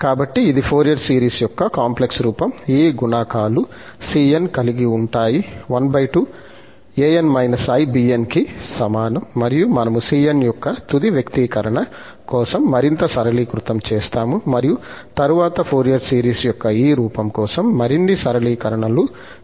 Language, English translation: Telugu, So, that is the complex form of this Fourier series with having these coefficients the cn, half an minus ibn, which is equal to, so, we will further simplify the final expression for c1, cn and also then again, some more simplifications will take place for this form of Fourier series